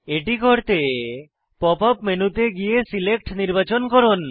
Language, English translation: Bengali, To do this, open the Pop up menu and go to Select